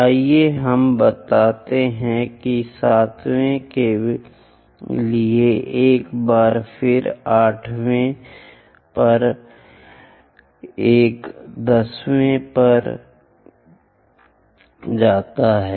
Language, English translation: Hindi, Let us extend that for the 7th one again goes there 8th one on 8th one 10th one on to the 10th